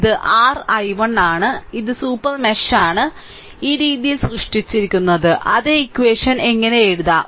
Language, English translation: Malayalam, So, this is your i 1 and this is super mesh is created this way same equation I showed you how to write